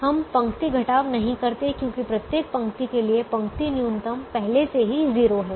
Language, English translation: Hindi, we don't do row subtraction, because the row minimum is already zero for every row